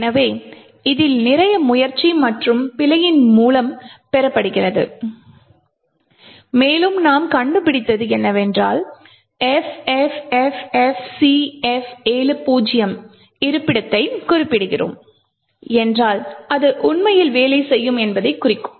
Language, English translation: Tamil, So, lot of this is obtained by trial and error and what we found that is if we specify the location FFFFCF70 it would indicate it would actually work